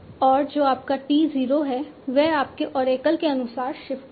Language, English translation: Hindi, And what is your T 0 optimal, which shift as per your oracle